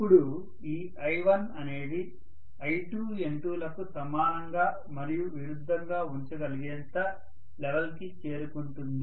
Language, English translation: Telugu, Now this I1 will reach to such a level exactly that it would be equal and opposite to that of N2 and I2